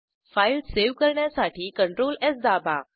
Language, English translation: Marathi, To save the file, Press CTRL+ S